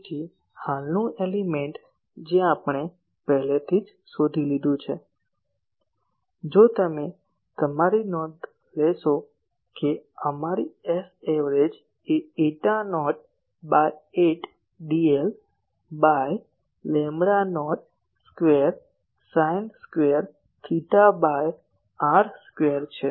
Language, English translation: Gujarati, So, current element we have already found what was our S a v if you see your notes that our S a v was eta not by 8 d l by lambda not square sin square theta by r square